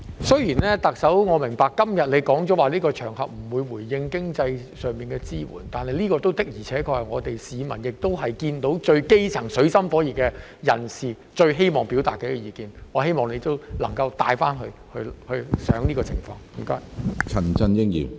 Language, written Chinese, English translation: Cantonese, 雖然我明白，特首今天說過不會在這個場合就經濟支援作回應，但這的確是處於水深火熱的基層市民最希望表達的意見，我希望特首回去能夠加以考慮。, Although I understand that the Chief Executive has indicated today that she would not respond to matters relating to financial support on this occasion this is indeed the view that the grass roots in dire straits hope to express most of all . I hope the Chief Executive will consider it after returning to the office